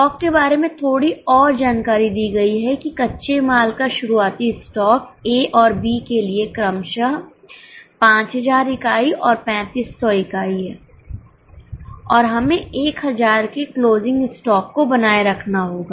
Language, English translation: Hindi, Little more information is given about stock that the opening stock of raw material is 5,000 units and 3,500 units respectively for A and B and we need to maintain closing stock of 1000